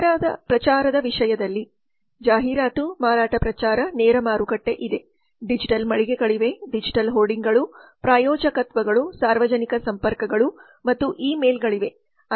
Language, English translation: Kannada, then in terms of promotion there is advertisement sales promotion direct marketing there are digital stores there are digital hoardings sponsorships public relations and e mail so all these are used for the promotion of telecom services